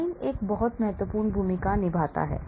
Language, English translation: Hindi, amines play a very important role